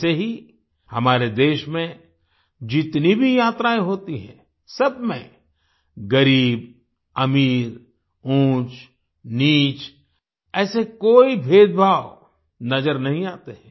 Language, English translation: Hindi, Similarly, in all the journeys that take place in our country, there is no such distinction between poor and rich, high and low